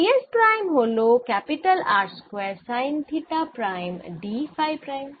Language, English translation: Bengali, d s prime is r square sine theta prime, d theta prime, d phi prime